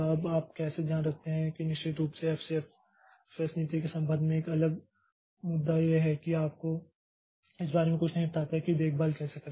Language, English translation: Hindi, Now, how do we take care that is of course a different issue as far as FCFS policy is concerned so it does not tell you, tell you anything about how to take care of that